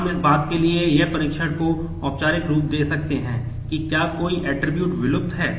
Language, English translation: Hindi, We can formalize a test for whether an attribute is extraneous